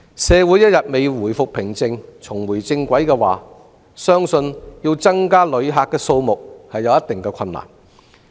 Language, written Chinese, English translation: Cantonese, 社會一天未回復平靜，重回正軌，相信要增加旅客的數目會有一定困難。, Before public order is restored and society returns to normal I believe it will be difficult to increase the number of visitors